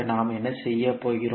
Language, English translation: Tamil, So what we will do